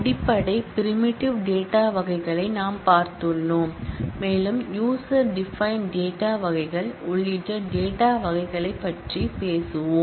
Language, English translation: Tamil, We have seen the basic primitive data types, and we had promised that we will talk more about the data types including user defined data types here